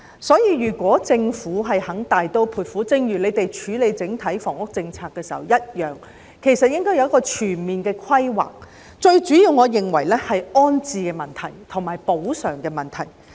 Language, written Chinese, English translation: Cantonese, 所以，希望政府肯大刀闊斧處理寮屋問題，就正如處理整體房屋政策時一樣，要有全面的規劃，而我認為最主要是安置及補償的問題。, Hence I wish that the Government is willing to handle the squatter structure issue in a bold and decisive manner . Just like dealing with the overall housing policy it should have comprehensive planning . And I think most importantly it should first tackle the rehousing and compensation issues